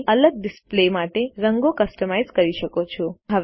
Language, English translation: Gujarati, You can customize colours for different displays